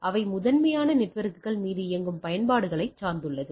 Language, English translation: Tamil, They are primarily dependent on applications which runs over networks right